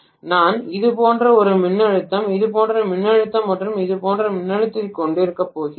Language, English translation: Tamil, So I am going to have maybe a voltage like this, voltage like this and voltage like this